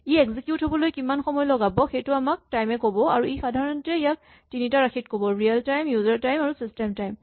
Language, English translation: Assamese, So, time tells us how much time this thing takes to execute and it typically reports this in three quantities; real time, user time, and system time